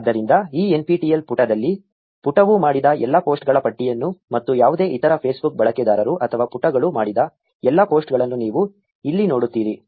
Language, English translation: Kannada, So, you see a list of all the posts that the page has done and all the posts that any other Facebook user or page has done on this nptel page here